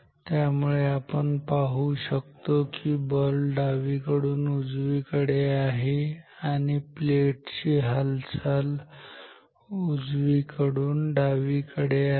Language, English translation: Marathi, So, we see that the force is from left to right and the motion of the plate motion of the plate is right to left